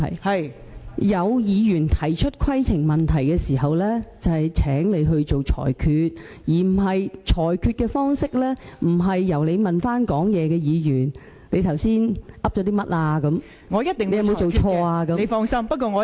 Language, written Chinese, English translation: Cantonese, 當有議員提出規程問題的時候，就會請你作出裁決，而你裁決的方式，並不是詢問發言的議員剛才說了甚麼，詢問他有否做錯等......, When a Member raises a point of order he will ask you to make a ruling . You should not make your ruling by consulting the Member who has just spoken asking him what he has said and whether he has done something wrong and so on